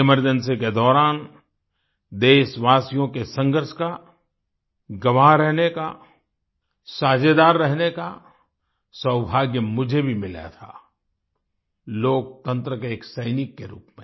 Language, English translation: Hindi, During the Emergency, I had the good fortune to have been a witness; to be a partner in the struggle of the countrymen as a soldier of democracy